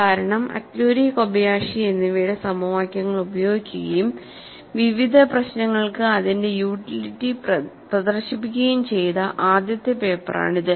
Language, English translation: Malayalam, Because this was the first paper, which utilized the equations of Atluri and Kobayashi and demonstrated it, its utility for a variety of problems